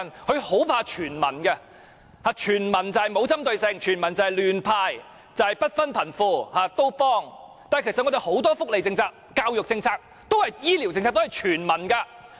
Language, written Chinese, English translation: Cantonese, "林鄭"很怕"全民"，全民就是沒有針對性、亂"派錢"、不分貧富、全部幫忙，但其實我們很多福利政策、教育政策、醫療政策，都是全民的。, Carrie LAM is afraid of anything universal . To her universal means lack of focus handing out money arbitrarily to all people poor and rich alike . However many of our welfare policies education policies and health care policies are universal